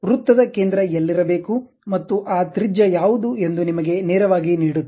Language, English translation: Kannada, Straight away gives you where should be the center of the circle and also what should be that radius